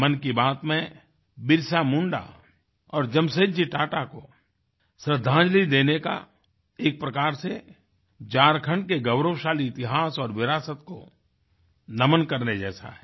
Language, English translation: Hindi, Paying tributes to BirsaMunda and Jamsetji Tata is, in a way, salutation to the glorious legacy and history of Jharkhand